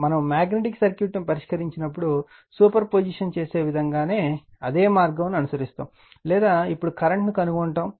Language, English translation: Telugu, When we will solve the magnetic circuit, we will follow the same way the way you do super position or now we will phi current